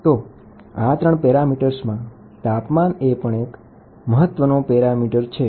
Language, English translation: Gujarati, So, in these 3 parameters, the temperature is also one parameter, which is very very important